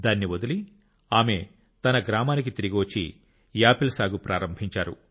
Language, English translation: Telugu, She returned to her village quitting this and started farming apple